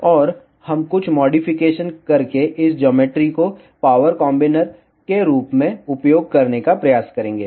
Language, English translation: Hindi, And we will try to use this geometry as a power combiner by doing some modifications